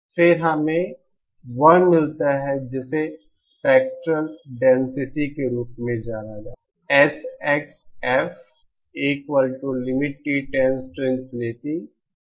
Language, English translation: Hindi, Then we get what is known as the spectral density